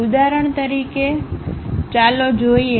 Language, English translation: Gujarati, For example, let us look at this